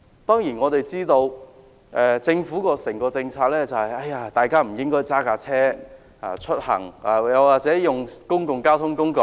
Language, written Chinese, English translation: Cantonese, 當然，政府的整體政策是市民不應駕車出行，應使用公共交通工具。, Of course the general policy of the Government is that the public should commute by public transport instead of private cars